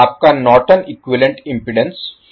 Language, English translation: Hindi, Your Norton’s equivalent impedance is 5 ohm